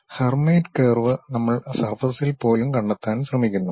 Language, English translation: Malayalam, Hermite curve, which we are trying to locate even on the surface